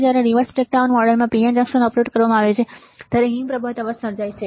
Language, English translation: Gujarati, Avalanche noise is created when a PN junction is operated in the reverse breakdown model all right